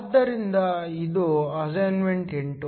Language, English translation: Kannada, So, this is assignment 8